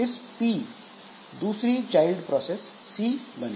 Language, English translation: Hindi, So, from this P, another child process C will be created